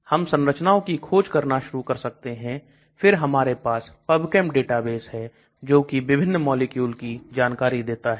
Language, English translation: Hindi, We can start looking at structure search, then we also have the PubChem database which gives you information on various types of molecules